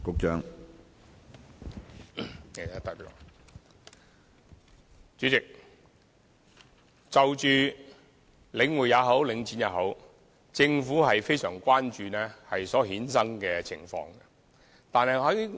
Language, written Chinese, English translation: Cantonese, 主席，不論是領匯還是領展，政府都非常關注所衍生的問題。, President regardless of whether we are dealing with The Link REIT or Link REIT the Government does care about the related issues very much